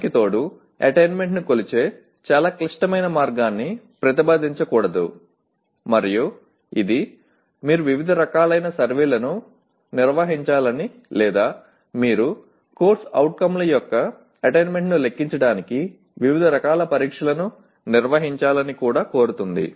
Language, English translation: Telugu, And in addition to that one should not keep proposing very complicated way of measuring attainment and which also demands that you conduct different kinds of surveys or you conduct different type of tests to merely compute the attainment of a CO